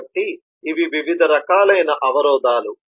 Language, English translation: Telugu, so these are different forms of constraints